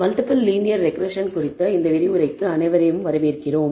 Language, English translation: Tamil, Welcome everyone to this lecture on Multiple Linear Regression